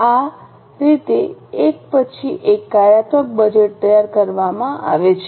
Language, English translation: Gujarati, Getting it, this is how one after another functional budgets are prepared